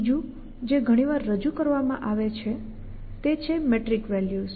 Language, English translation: Gujarati, The third that is often introduced is found is like metric values